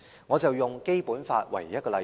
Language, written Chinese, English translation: Cantonese, 我以《基本法》作為例子。, Let me use the Basic Law as an example